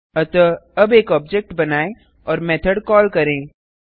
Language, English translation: Hindi, So let us create an object and call the method